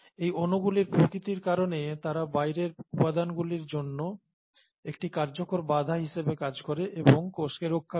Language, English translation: Bengali, So by the very nature of these molecules they act as effective barriers to outside components and they protect the cell